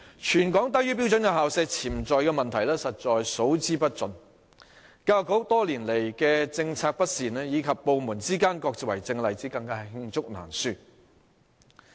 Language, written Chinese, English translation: Cantonese, 全港低於標準校舍潛在的問題實在數之不盡，教育局多年來的政策不善，以及部門之間各自為政的例子，更是罄竹難書。, There are numerous hidden problems with sub - standard school premises in Hong Kong and the cases involving poor policies rolled out by the Education Bureau over the years and lack of coordination among government departments are likewise countless